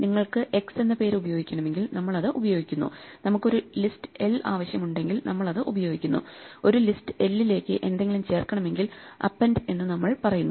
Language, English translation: Malayalam, If you need to use a name x, we use it; if we need a list l we use it, if we need to add something to an l, we just say append